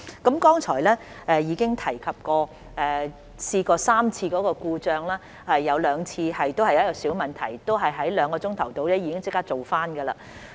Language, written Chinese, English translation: Cantonese, 我剛才已提及系統曾出現3次故障，其中兩次涉及小問題，並已在兩小時內解決。, As I mentioned just now the system has broken down on three occasions two of which involved minor problems which were resolved within two hours